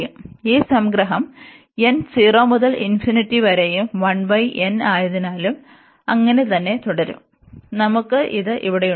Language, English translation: Malayalam, So, we have this summation n goes 0 to infinity and 1 over n so will remain as it is so we have also this pi here